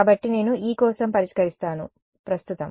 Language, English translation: Telugu, So, I solve for E given this right now